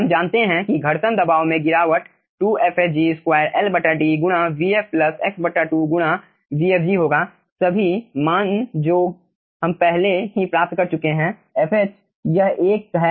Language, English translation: Hindi, we know that frictional pressure drop will be 2fhg square l by d into vf, plus x by 2 into vfg